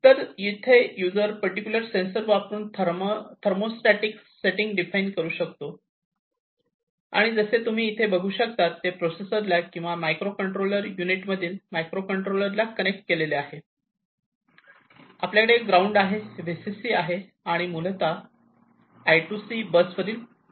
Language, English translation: Marathi, So, the user can define the thermostatic settings using this particular sensor and as you can see over here, it is connected to this processor or the microcontroller this is this microcontroller unit and we have the ground, the VCC, and these are basically the ports on the I2C bus